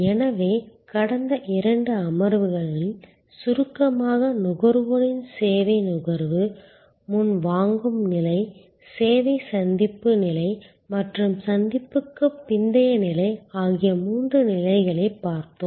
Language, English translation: Tamil, So, in summary in the last two sessions, we have looked at these three stages of service consumption by the consumer, pre purchase stage, service encounter stage and post encounter stage